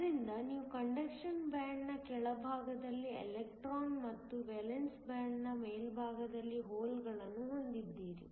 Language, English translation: Kannada, So, you have an electron at the bottom of the conduction band and a hole at the top of the valence band